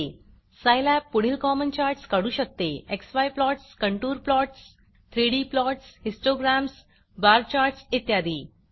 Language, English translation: Marathi, The several common charts Scilab can create are: x y plots, contour plots, 3D plots, histograms, bar charts, etc..